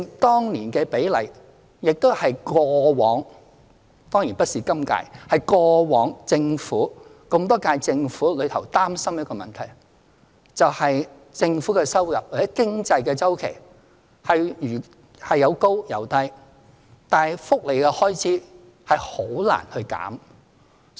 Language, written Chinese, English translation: Cantonese, 當年的比例正正是過往——當然不是今屆——歷屆政府所擔心的問題，就是政府的收入或經濟周期有高有低，但福利開支則很難減少。, The percentage back then has been a concern of the Government in previous terms but surely not a concern in the current term . Government revenue or economic cycle have their highs and lows but it is almost impossible to reduce welfare expenditure